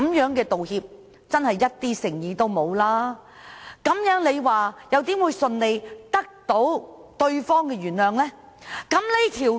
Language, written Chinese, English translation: Cantonese, 這種道歉實在欠缺誠意，試問如何能輕易得到對方原諒呢？, Given this kind of insincere apology how can we expect that the apology maker will be so easily forgiven?